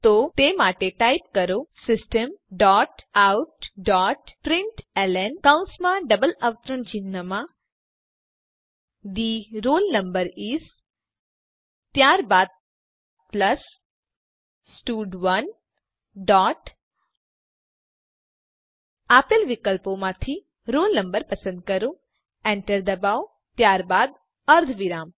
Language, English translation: Gujarati, So for that type System dot out dot println within brackets and double quotes, The roll number is, then plus stud1 dot from the option provided select roll no press Enter then semicolon